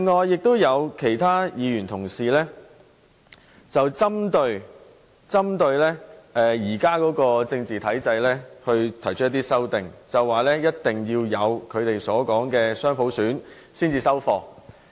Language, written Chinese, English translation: Cantonese, 有些議員針對現時的政治體制提出修正案，表示下任行政長官一定要落實他們所說的雙普選才會收貨。, Some Members have moved amendments targeting on the existing political system saying that the next Chief Executive must materialize what they call dual universal suffrage